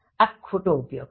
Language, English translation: Gujarati, This is wrong usage